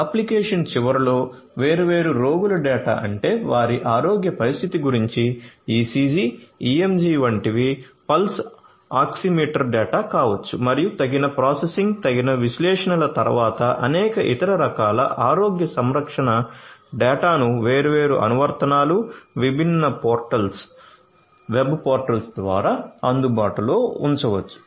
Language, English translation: Telugu, So, you know at the application end, you know data about different patient data about their health condition such as ECG, EMG, then may be pulse oximeter data and many other different types of healthcare data could be made available after suitable processing suitable analytics and so on through these different applications, different portals were portals and so on